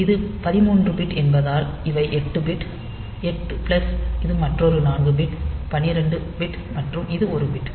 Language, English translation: Tamil, So, since it is 13 bit, these will constitute 8 bit, 8 plus this is another 4 bit 12 bit and this is 1